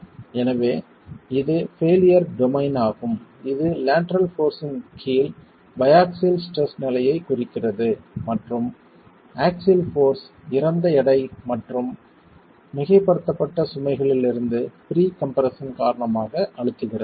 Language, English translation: Tamil, So, this is the failure domain that is representing the biaxial state of stress under lateral force and compression due to axial forces dead weight and pre compression from superimposed loads